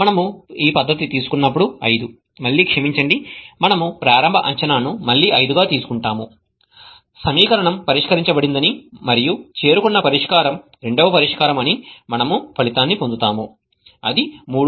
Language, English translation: Telugu, When we take the method 5 again, sorry, we take the initial guess as 5, again we get the result that the equation is solved and the solution reached is the second solution 3